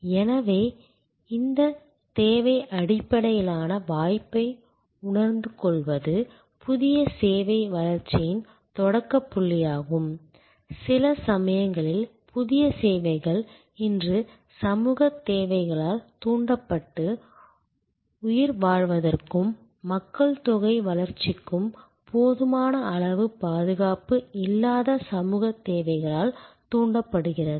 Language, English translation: Tamil, So, sensing this need based opportunity is a starting point of new service development sometimes new services are these develop today stimulated by social needs for survival and growth of population social needs that are not adequate covered